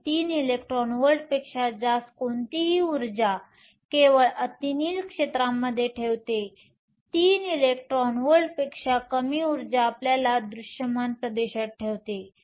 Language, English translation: Marathi, So, any energy greater than 3 electron volts puts only ultraviolet region; energy less in 3 electron volts puts you in the visible region